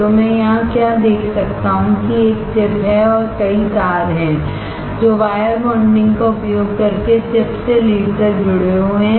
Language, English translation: Hindi, So, what can I see here is that there is a chip and there are multiple wires that are connected from the chip to the lead using wire bonding